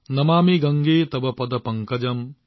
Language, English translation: Assamese, Namami Gange Tav Paad Pankajam,